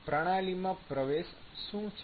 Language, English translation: Gujarati, So, what is the input to the system